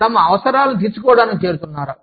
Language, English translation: Telugu, Or, to fulfil the needs, that they have